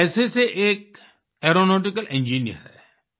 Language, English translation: Hindi, By profession he is an aeronautical engineer